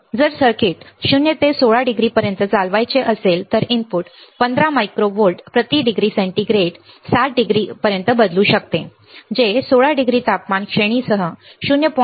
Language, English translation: Marathi, So, if the circuit has to be operated from 0 to 16 degree the input could change by 15 micro volts per degree centigrade in to 60 degree which is 0